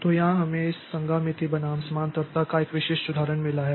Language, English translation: Hindi, So, here, so, here we have got a typical example of this concurrency versus parallelism